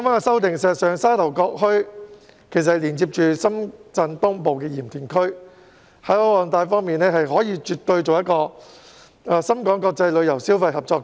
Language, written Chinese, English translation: Cantonese, 事實上，沙頭角墟連接深圳東部的鹽田區，該處的海岸帶絕對可發展為深港國際旅遊消費合作區。, In fact Sha Tau Kok Town is located adjacent to Yantian District in eastern Shenzhen where the coastal area can absolutely be developed into Shenzhen - HK international tourism consumption cooperation area